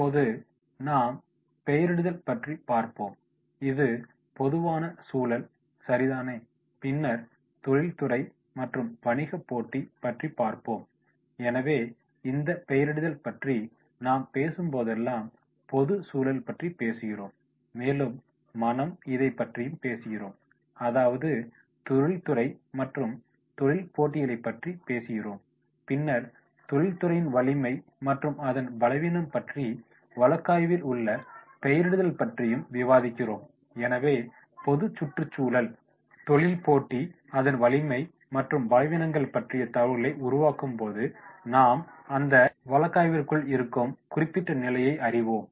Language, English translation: Tamil, Now we will talk about the labelling and that is general environment right and then the industry and the competition, so whenever we are talking about these labelling we are talking about the G that is general environment, we are talking about my Ind that is about the industry, we are talking about the competitions, then the strength and that is weakness and this label in the case and we capture here, so therefore, while making the information about the general environment industry competition strength and weaknesses we will come to that particular level in the case